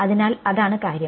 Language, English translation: Malayalam, So, that is the thing